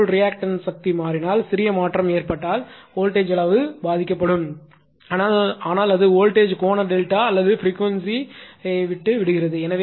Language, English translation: Tamil, And if the similarly if the reactive power changes right there is small change in reactive power then voltage magnitude will be affected, but it leaves the your what you call voltage angle delta or the frequency